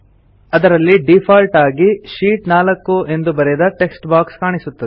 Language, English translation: Kannada, There is a textbox with Sheet 4 written in it, by default